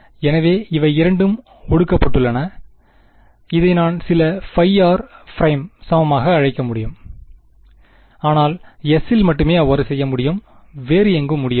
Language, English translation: Tamil, So, these two have been condensed into I can call it equal to some phi r prime, but only on S not anywhere else right